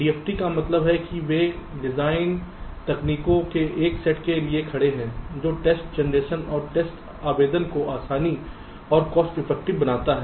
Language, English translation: Hindi, d, f, t means they stand for a set of designed techniques that makes test generation and test application easier and cost effective